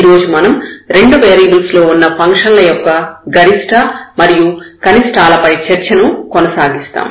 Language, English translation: Telugu, And, today we will continue our discussion on Maxima and Minima of Functions of Two Variables